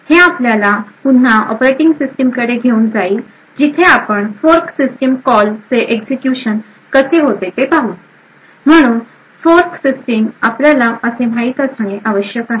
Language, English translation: Marathi, This would take us back to the operating system where we would look at the execution of something of the fork system call, so typical fork system called as you must be quite aware of would look something like this